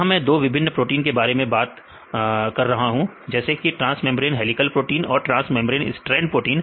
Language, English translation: Hindi, Here I mention 2 different types of proteins, like one is the transmembrane helical proteins, and the transmembrane strand proteins